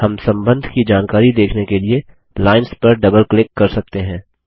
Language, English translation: Hindi, We can double click on the lines to see the relationship details